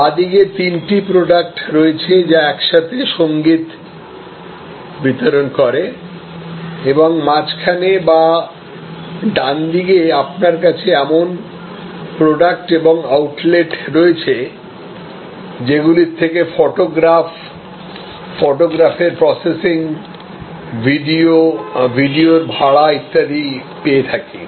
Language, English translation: Bengali, On the left hand side you have three products which together delivered music or in the middle or on the right you have products and outlets which provided photographs, processing of photographs, videos, rental of videos and so on